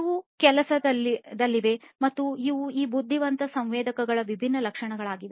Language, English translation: Kannada, They are in the works and these are the different features of these intelligent sensors